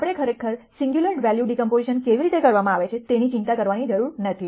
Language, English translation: Gujarati, We do not have to really worry about how singular value decomposition is done